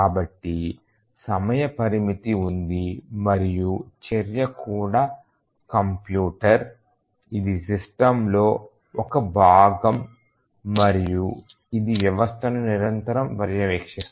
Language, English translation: Telugu, So, there is a time constraint and the action and also the computer is part of the system and it continuously monitors the system